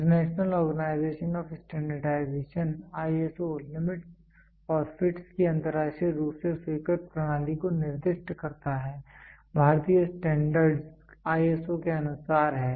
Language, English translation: Hindi, The international organization of standardization specifies the internationally accepted system of limits and fits, Indian standards are in accordance with the ISO